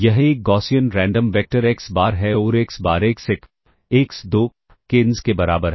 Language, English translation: Hindi, This is a Gaussian random vector xBar and xBar equals x1 x2 xn